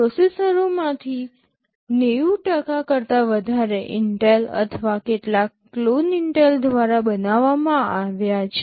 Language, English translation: Gujarati, More than 90% of the processors are made by Intel or some clones of those made by Intel